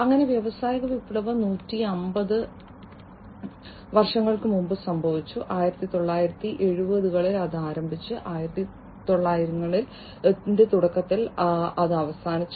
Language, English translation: Malayalam, So, the industrial revolution happened more than 150 years back, in the 1970s it started, and ended in the early 1900